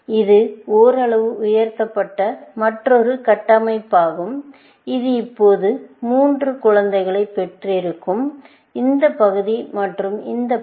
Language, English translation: Tamil, This is another partially elicited structure, and this itself, would have now, three children, which this part, this part and this part